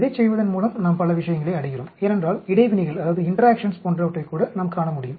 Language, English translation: Tamil, By doing this we are achieving many things because we will be able to even see things like interactions